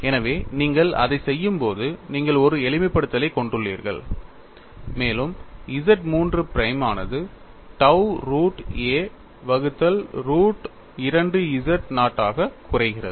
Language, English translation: Tamil, So, when you do that, you have a simplification and Z 3 prime reduces to tau root of a divided by root of 2z naught